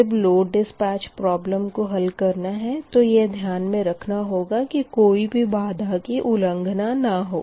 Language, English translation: Hindi, so when you are solving economic load dispatch problem then you have to see that all the constraints also are not violated